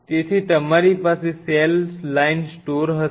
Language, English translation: Gujarati, So, you will have cell line storage